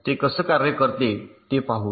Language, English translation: Marathi, ok, lets see how it works